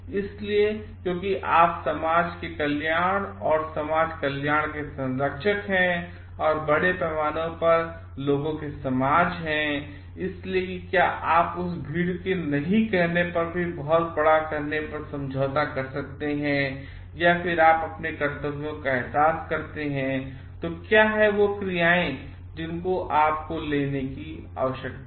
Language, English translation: Hindi, So, because you are the guardian of the welfare and society welfare of the society and the society of people at large, so can you compromise that grow large when you say no to that crowd and then, if you realise your duties then what are the actions that you need to take